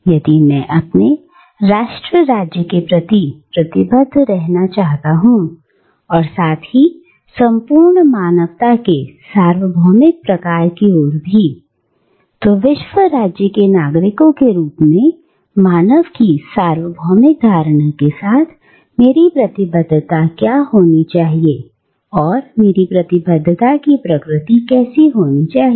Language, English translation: Hindi, If, I am to be committed towards my own nation state, as also towards the universal sort of entire humanity, the universal notion of human beings as citizens of the world state, what is going to be my commitment, what is going to be the nature of my commitment